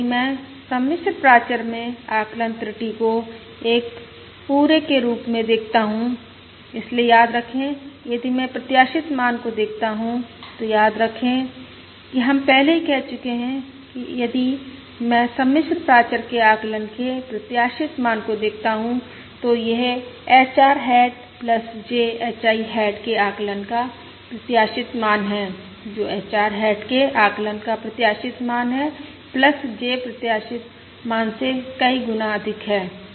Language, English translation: Hindi, Now, if I look at the estimation error in the complex parameter as a whole, that is, remember, if I look at expected value ofů Remember, we have already said that if I look at the expected value of the estimate of the complex parameter, that is, the expected value of estimate of HR hat plus J H I hat, which is the expected value of estimate of ah ah